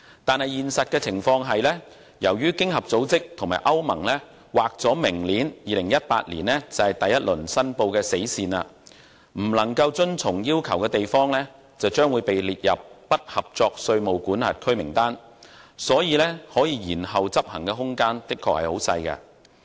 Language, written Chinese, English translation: Cantonese, 然而，現實情況是，由於經合組織和歐盟把明年劃定為第一輪申報的死線，未能遵從要求的地方將會被列入"不合作稅務管轄區"名單，因此，延後執行的空間的確很小。, But in reality since OECD and the European Union have designated next year 2018 as the deadline for the first round of reporting and any jurisdiction failing to comply with this requirement will be listed as a non - cooperative tax jurisdiction there is indeed very little room for deferred implementation